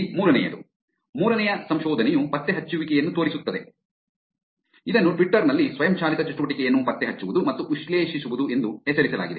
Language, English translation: Kannada, Here is the third one; third research which shows the detecting, which is titled as, ‘Detecting and Analyzing Automated Activity on Twitter’